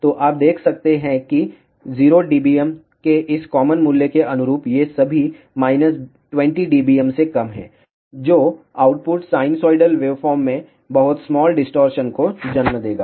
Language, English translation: Hindi, So, you can see that corresponding to this normalize value of 0 dBm, all these are less than minus 20 dBm which will give rise to very small distortion in the output sinusoidal waveform